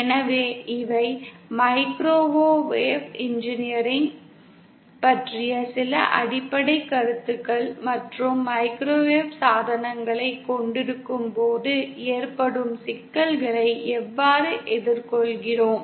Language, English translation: Tamil, So these were some basic concepts about microwave engineering and how we deal with the problems that come up when we have microwave devices